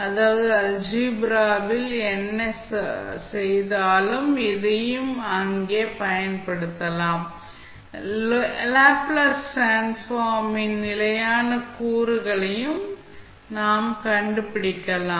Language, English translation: Tamil, That means that whatever did in Algebra, the same can be applied here also, if you want to find out the, the constant components in any case of the Laplace Transform, which we discussed till now